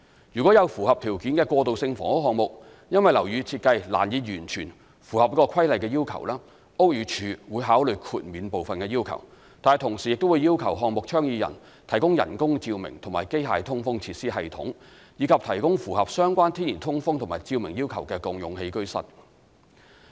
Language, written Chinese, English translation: Cantonese, 若有符合條件的過渡性房屋項目，因樓宇設計難以完全符合《規例》的要求，屋宇署會考慮豁免部分的要求，但同時亦會要求項目倡議人提供人工照明及機械通風設施系統，以及提供符合相關天然通風及照明要求的共用起居室。, If any eligible transitional housing project is unable to comply fully with this requirement due to building design constraints BD may consider granting an exemption on the condition that the project proponents must provide artificial lighting and mechanical ventilation facilities to meet the natural ventilation and lighting requirements for shared living rooms